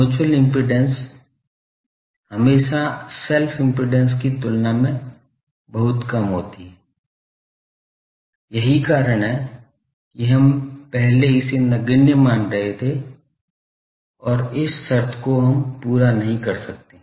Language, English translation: Hindi, Mutual impedance is always much much lower than self impedance, that is why we were earlier neglecting it and this condition we cannot meet